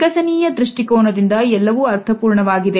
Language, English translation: Kannada, So, this all makes sense from an evolutionary perspective